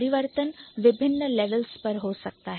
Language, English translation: Hindi, The change might happen at different level